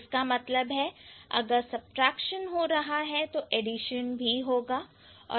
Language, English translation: Hindi, So, that means if there is subtraction, there must be addition